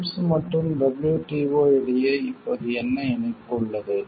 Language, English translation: Tamil, What is the link now between the TRIPS and WTO